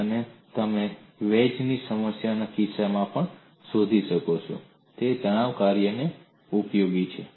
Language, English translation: Gujarati, And you would also be able to find out for the case of a wedge problem, the same stress function is useful